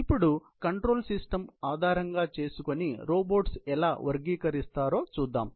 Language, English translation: Telugu, So, we now classify the robots, based on control systems